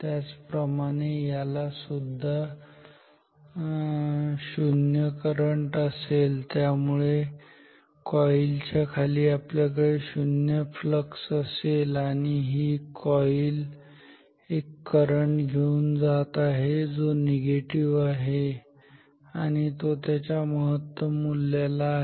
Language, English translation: Marathi, Similarly this will also have 0 current, so we will have 0 flux below this coil and this coil is carrying a current which is negative and it is at its maximum value negative and at its maximum value